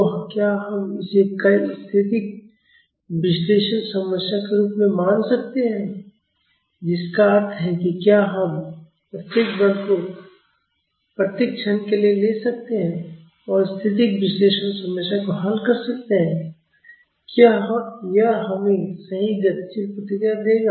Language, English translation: Hindi, So, can we treat this as multiple static analysis problems that means, can we take each forces at each instant and solve static analysis problem, will that give us the correct dynamic response